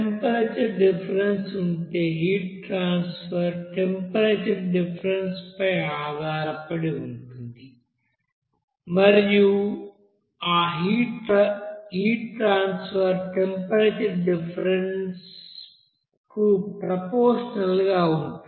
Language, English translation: Telugu, So if there is a temperature difference and that heat transfer basically will be based on that temperature difference and this heat transfer will be proportional to that heat transfer, heat differences or temperature differences